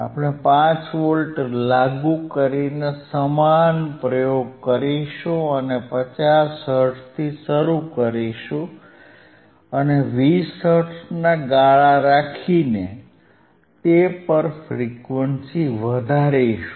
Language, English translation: Gujarati, We will do the same experiment; that means, that will by applying 5 volts and will start from 50 hertz start from 50 hertz and increase the frequency at the step of 20 hertz increase the frequency at step of 20 hertz, right